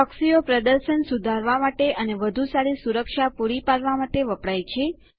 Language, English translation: Gujarati, Proxies are used to improve performance and provide better security